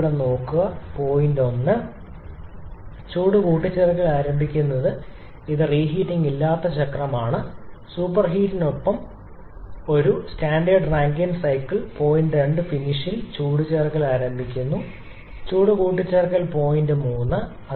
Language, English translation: Malayalam, But just to show you something, the point 1, the heat addition is starting this is cycle shown without reheating, a standard Rankine cycle with superheat, we are starting heat addition at point 2 finishing heat addition point 3